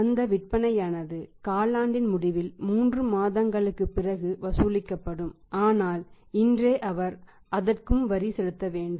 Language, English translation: Tamil, Those sales will be collected at the end of the quarter means after 3 months but he is supposed to pay the tax today